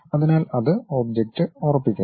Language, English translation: Malayalam, So, it fixes the object